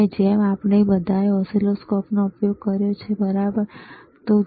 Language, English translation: Gujarati, So, like we have all used oscilloscope, right